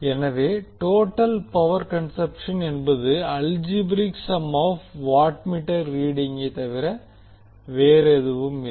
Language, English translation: Tamil, So the total power will be equal to the algebraic sum of two watt meter readings